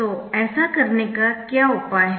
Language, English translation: Hindi, so what is it right